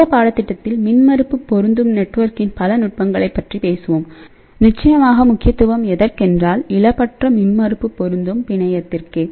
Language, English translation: Tamil, So, in this particular course we will actually talk about several techniques of impedance matching network and of course, the importance is that this technique has to be lossless impedance matching network